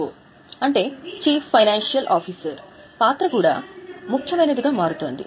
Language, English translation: Telugu, The role of CFO is also becoming important